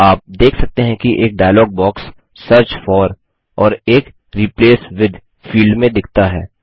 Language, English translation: Hindi, You see a dialog box appears with a Search for and a Replace with field